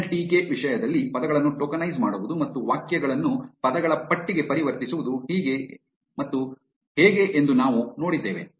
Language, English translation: Kannada, In terms of nltk, we looked at how to tokenize words and convert sentences into a list of words